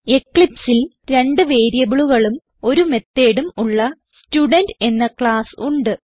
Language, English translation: Malayalam, In eclipse, I have a class Student with two variables and a method